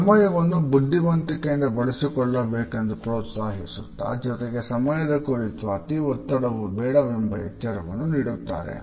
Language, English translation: Kannada, We are encouraged to use time wisely and at the same time we may also be cautioned not to be too obsessive about it